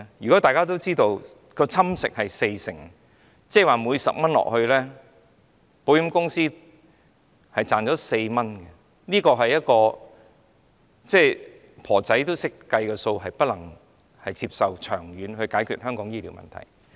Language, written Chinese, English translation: Cantonese, 如果大家都知道蠶食的部分是四成，即每加入10元，保險公司便賺取4元，即使一位婆婆亦懂得計算，這並不能作為長遠解決香港醫療問題的方法。, If it is made known to everyone that the eroded part is 40 % that is for every 10 that is added to them the insurance companies earn 4 then even a grandmother would know how to do the calculations . This cannot be the method for solving Hong Kongs health care problem in the long term